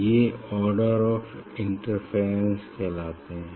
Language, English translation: Hindi, these are called the order of the interference